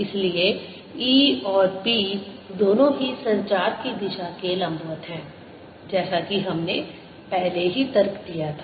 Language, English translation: Hindi, so both e and b are perpendicular to direction of propagation, as we had indeed argued earlier